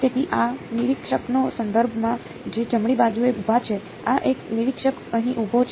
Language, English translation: Gujarati, So, with respect to this observer, who is standing at r right; this is an observer standing over here